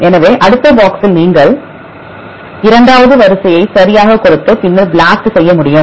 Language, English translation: Tamil, So, in the next box, if you give a second sequence right and then BLAST, to do this